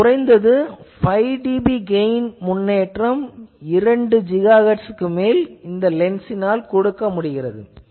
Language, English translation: Tamil, 45 dB so at least 5 dB improvement in the gain at frequencies above on two point GHz was given by the lens